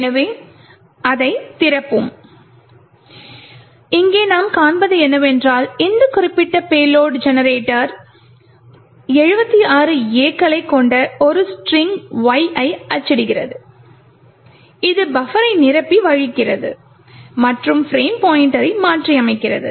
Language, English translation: Tamil, So we will open that and what we see here is that this particular payload generator prints a string Y which comprises of 76 A, so the 76 A’s are used to overflow the buffer and as we and you can recollect that it overflow by 76 A’s